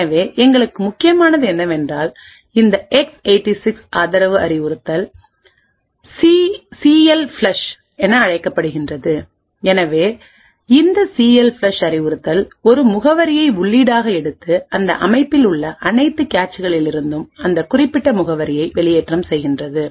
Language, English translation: Tamil, So what is important for us is this X 86 supported instruction known as CLFLUSH, so this CLFLUSH instruction takes an address as input and flushes that particular address from all the caches present in that system